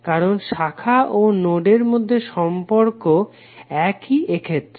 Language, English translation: Bengali, Why because relationship between branches and node is identical in this case